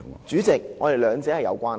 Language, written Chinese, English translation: Cantonese, 主席，兩者是有關係的。, President the two subjects are related